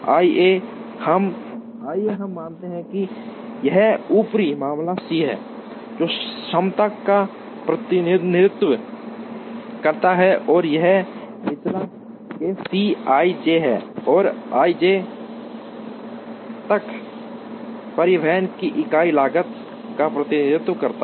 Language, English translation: Hindi, Let us assume that, this is upper case C, which represents the capacity and this is the lower case C i j, which represents the unit cost of transportation from i to j